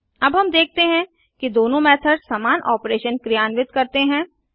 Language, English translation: Hindi, Now we see that both the method performs same operation